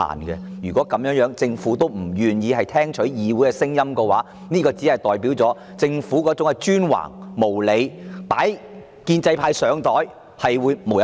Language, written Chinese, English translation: Cantonese, 若政府仍不願意聽取議會的意見，則顯示其專橫無理，"擺建制派上檯"的舉動將會無日無之。, If the Government remains unwilling to heed the Council it will only demonstrate its imperiousness and moves to put the pro - establishment camp on the spot will never end